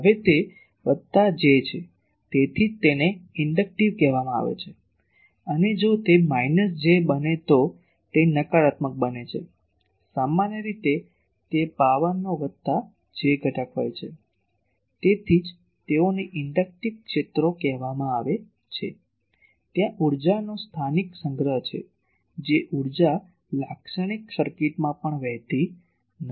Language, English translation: Gujarati, Now, that is plus j so, that is why it is called inductive and if it turns out to be minus j it becomes negative usually it is a plus j component of power that is why they are called inductive fields as, if in an inductor there is a locally storage of energy that energy does not flow in a typical circuit also